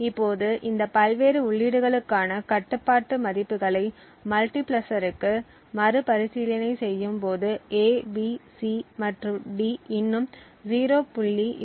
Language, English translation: Tamil, Now recomputing the control values for these various inputs to the multiplexer we see that A, B, C and D still have a control value of 0